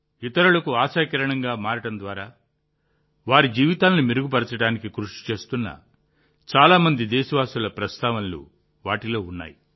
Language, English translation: Telugu, These comprise due mention of many countrymen who are striving to improve the lives of others by becoming a ray of hope for them